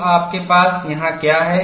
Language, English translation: Hindi, So, what you have here